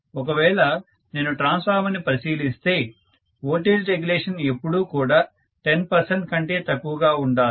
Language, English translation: Telugu, If I look at a transformer, normally the voltage regulation has to be less than 10 percent, in most of the cases